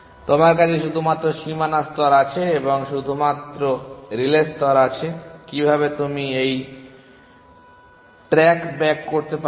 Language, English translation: Bengali, You only have the boundary layer and you only have the relay layer how can you back track